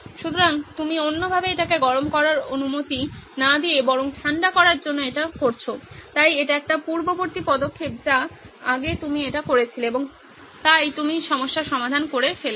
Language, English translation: Bengali, So, you have done the other way round not allowing it to heat up but to cool it so this is a prior action sorry previously you do this and so you solve the problem